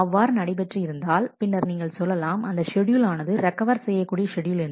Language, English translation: Tamil, If that happens, then we say that that schedule is a recoverable schedule